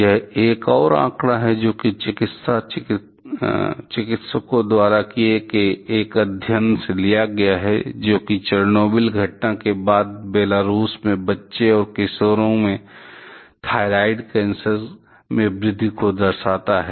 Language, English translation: Hindi, This is another figure, which was taken from a study done by medicine practitioners that is, which reflects the increase in the thyroid cancer among child and adolescent from Belarus, after the Chernobyl incident